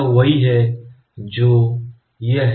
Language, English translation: Hindi, So, this is what it is